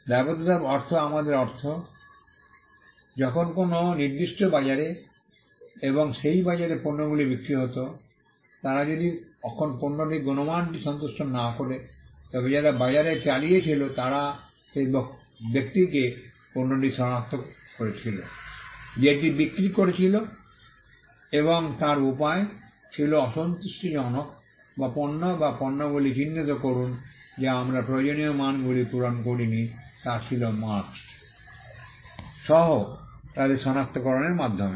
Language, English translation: Bengali, By liability we mean, a when goods were sold in a particular market and that market, they if the quality of the goods was unsatisfactory then, the people who ran the market would identify the goods by the person who had sold it and a way to identify unsatisfactory goods or goods we did not meet the required standards was by identifying them with the marks